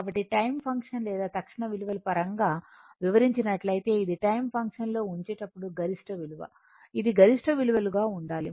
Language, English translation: Telugu, So, whereas, as time function or instantaneous values as explained it is maximum value when you are putting in time function, it should be maximum values